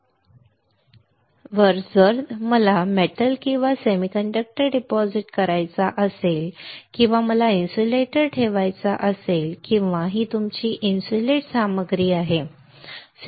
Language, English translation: Marathi, On this oxidized silicon substrate if I want to deposit a metal or an a semiconductor or I want to deposit insulator or because this is your insulating material, right